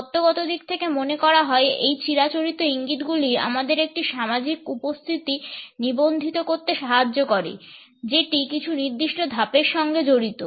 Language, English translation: Bengali, The theoretical approach felt that these conventional cues helped us in registering a social presence that is associated with certain levels of association